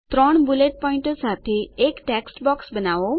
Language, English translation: Gujarati, Create a text box with three bullet points